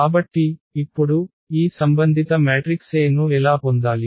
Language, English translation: Telugu, So, now, how to get this corresponding matrix A